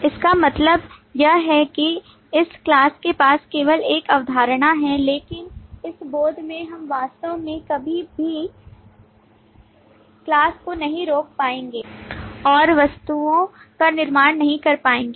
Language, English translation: Hindi, What it means is this class only has a concept, but in the realization we will never actually instantiate the class and create objects